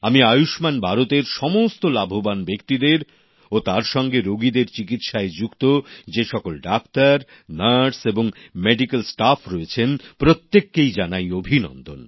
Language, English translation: Bengali, I congratulate not only the beneficiaries of 'Ayushman Bharat' but also all the doctors, nurses and medical staff who treated patients under this scheme